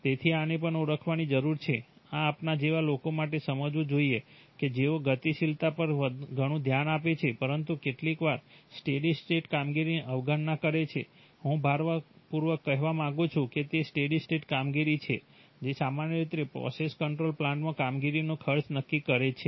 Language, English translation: Gujarati, So this also needs to be identified, this should be understood for people like us who pay a lot of attention to dynamics but sometimes ignore the steady state operation, I want to emphasize that it is the steady state operation that generally decides cost of operation in a process control plant